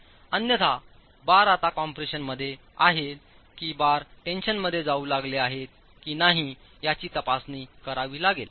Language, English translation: Marathi, Otherwise you will have to examine whether the bars are now in compression or the bars have started going into tension